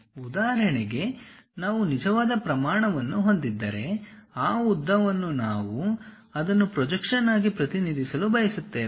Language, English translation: Kannada, For example, if we have a real scale, that length we want to represent it as a projection